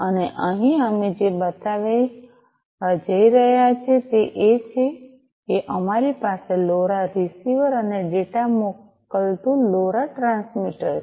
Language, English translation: Gujarati, And here what we are going to show is that we have a LoRa transmitter sending the data to the LoRa receiver